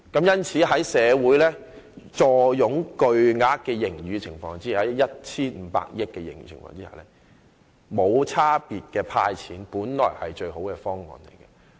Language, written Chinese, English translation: Cantonese, 因此，在社會坐擁 1,500 億元巨額盈餘的情況下，無差別地"派錢"本來就是最佳方案。, Therefore under the circumstance that there is a considerable surplus of 150 billion in the society the best solution is to hand out cash non - discriminatorily